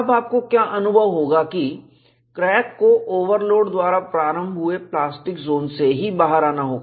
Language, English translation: Hindi, Now, what you will have to realize is, the crack has to come out of the larger plastic zone, introduced by the overload